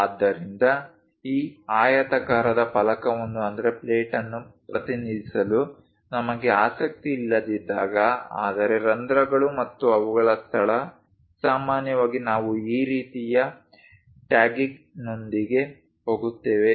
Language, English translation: Kannada, So, when we are not interested to represent this rectangular plate, but holes and their location, usually we go with this kind of tagging